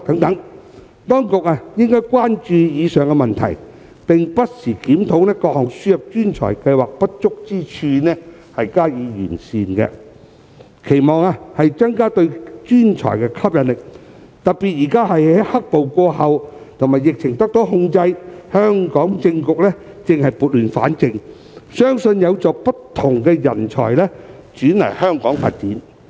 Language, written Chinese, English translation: Cantonese, 當局應關注以上問題，不時檢討並完善各項輸入專才計劃的不足之處，以期增加對專才的吸引力，特別是現在"黑暴"過後和疫情受控，香港政局正在撥亂反正，相信有助不同人才前來香港發展。, The Administration should be concerned about the aforesaid issues and review and address the inadequacies of various talent admission schemes from time to time with a view to enhancing their appeal to professional talents . In particular in the wake of black - clad violence and with the epidemic situation under control the political situation in Hong Kong is on the mend which I believe will help attract various talents to come to Hong Kong for career development